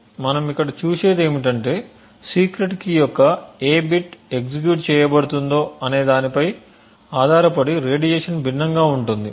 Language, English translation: Telugu, So what we see over here is that the radiation differs depending on what bit of the secret key is being executed